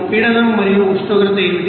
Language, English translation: Telugu, And what is the pressure and temperature